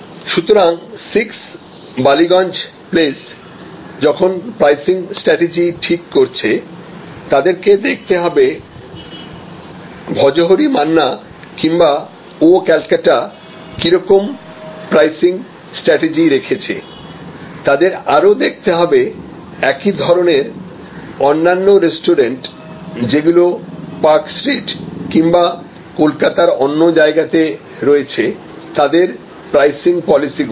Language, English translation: Bengali, So, when 6 Ballygunge places trying to determine their pricing strategy, they have to look at the pricing strategy of Bhojohori Manna or of Oh Calcutta, they have to also look at the comparable, other restaurants at park street and other places in Calcutta and their pricing policies